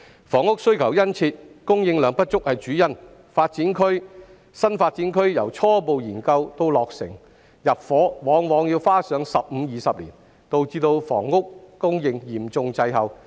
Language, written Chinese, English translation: Cantonese, 房屋需求殷切，供應量不足是主因，新發展區由初步研究到落成入伙，往往要花上15年至20年，導致房屋供應嚴重滯後。, The keen housing demand mainly stems from the shortage of supply . The development of a new development area from preliminary study to completion for intake often takes 15 to 20 years resulting in a serious lag in housing supply